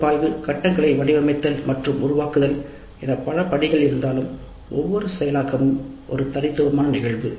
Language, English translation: Tamil, Though we have the analysis, design and develop phase, each implementation is a unique instance